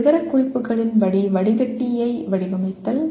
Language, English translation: Tamil, Designing a filter as per specifications